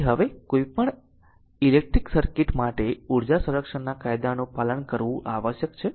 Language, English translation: Gujarati, So, now for any electric circuit law of conservation of energy must be obeyed right